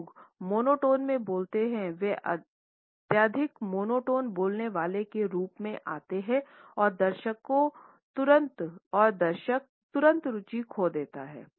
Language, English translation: Hindi, People who speaks in monotones come across as highly monotones speakers and the audience immediately lose interest